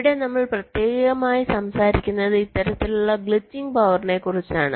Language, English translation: Malayalam, ok, so here we are specifically talking about this kind of glitching power